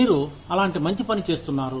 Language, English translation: Telugu, You are doing, such good work